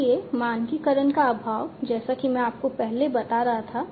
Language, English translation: Hindi, So, there is lack of standardization, as I was telling you earlier